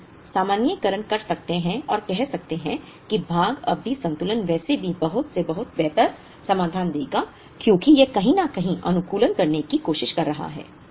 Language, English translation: Hindi, And we could generalize and say that part period balancing would anyway give a better solution than lot for lot because it is trying to optimize something somewhere